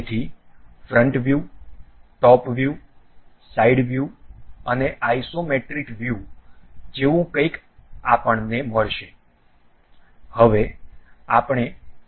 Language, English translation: Gujarati, So, something like front view, top view, side view and isometric view we will get